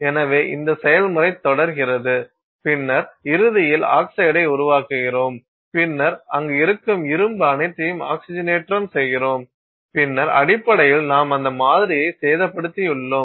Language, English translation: Tamil, So, this process continues and then you eventually keep creating oxide oxide oxide and then eventually you have oxidized all of that iron that is present there and then essentially that is your basically damaged that sample